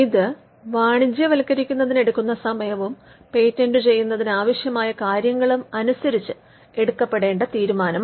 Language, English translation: Malayalam, Now, this is a call they need to factor that time that is required to commercialize and that decision on the resources needed for patenting